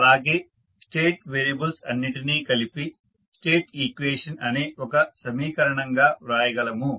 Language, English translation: Telugu, And, accordingly we can sum up the state variable into a equation call the state equation